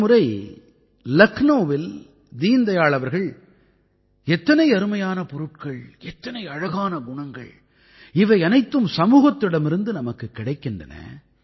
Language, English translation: Tamil, Once in Lucknow, Deen Dayal ji had said "How many good things, good qualities there are we derive all these from the society itself